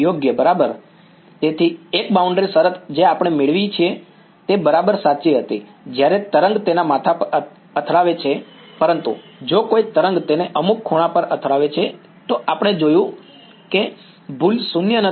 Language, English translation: Gujarati, Correct right; so, a boundary condition which we derive was exactly true when the wave hits it head on, but if a wave hits it at some angle, we have seen that the error is non zero right